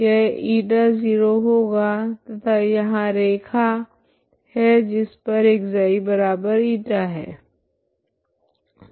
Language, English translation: Hindi, So this line is ξ0to this line is ξ equal to η, okay